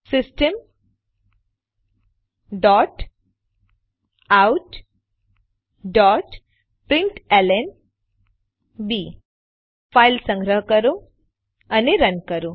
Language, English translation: Gujarati, System dot out dot println Save the file and run it